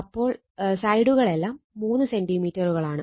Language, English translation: Malayalam, So, your right sides are 3 centimeter each